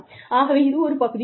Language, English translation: Tamil, So, that could be one